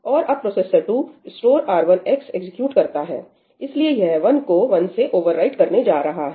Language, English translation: Hindi, And now processor 2 executes ëstore R1 xí, so, it is going to overwrite this 1 with 1